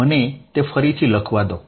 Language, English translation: Gujarati, Let me write it again